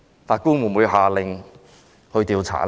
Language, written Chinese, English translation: Cantonese, 法官會否下令作出調查呢？, Will the judges concerned order an investigation into the complaints?